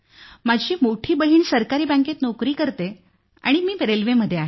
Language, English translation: Marathi, My first sister is doing a government job in bank and I am settled in railways